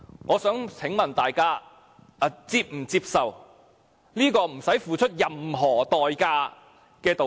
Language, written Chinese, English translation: Cantonese, 我想請問，大家是否接受這個不用付出任何代價的道歉？, May I ask whether you would accept such an apology that costs them nothing?